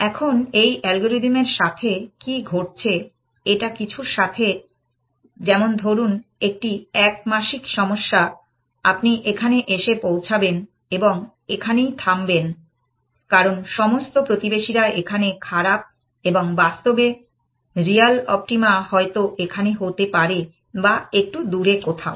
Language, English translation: Bengali, Now, what was happening with this algorithm is that, it along some let us say one dimensional problem, you would end up here and stop here, because all neighbors are worse in this and when in practices real optimum may be here or some were else bit further away essentially